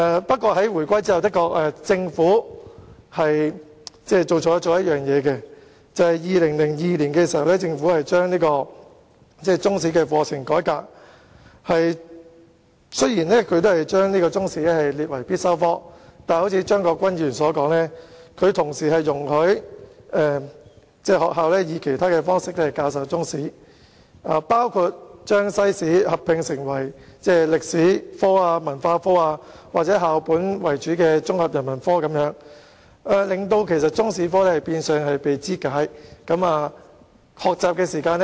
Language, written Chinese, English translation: Cantonese, 不過，在回歸後，政府的確做錯了一件事，就是在2002年將中史課程改革，雖然將中史列為必修科，但卻如張國鈞議員所說，同時容許學校以其他方式教授中史，包括將中史與西史合併為歷史科、文化科或以校本為主的綜合人文科，令中史科變相被肢解，學習時間不足。, That said after Hong Kongs return to China the Government did make a mistake in reforming the Chinese History curriculum in 2002 while it designated Chinese History as a compulsory subject as Mr CHEUNG Kwok - kwan said it also allowed schools to teach Chinese history in other modes including teaching Chinese history and World history as a combined subject namely History Culture or school - based Integrated Humanities